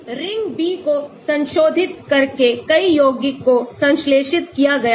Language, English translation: Hindi, Many compounds were synthesized by modifying the ring B